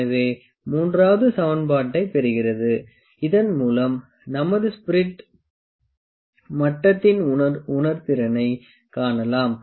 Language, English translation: Tamil, So, that derives the equation 3, with this we can find the sensitivity of the of our spirit level